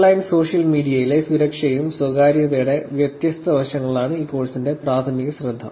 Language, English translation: Malayalam, Then the primary focus of this course is going to be different aspects of security and privacy on online social media